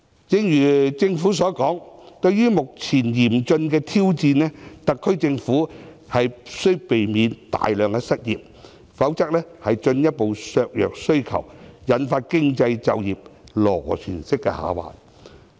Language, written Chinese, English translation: Cantonese, 正如政府所說，對於目前嚴峻的挑戰，特區政府必須避免大量失業，否則進一步削弱需求，引發經濟就業螺旋式下滑。, As pointed out by the Government in the face of the serious challenges at present the SAR Government should prevent widespread unemployment; otherwise the further weakening of demand will lead to a downward spiral of the economy and the employment situation